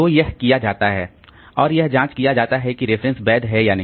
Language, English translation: Hindi, So, that is done and it checks whether the reference was legal or not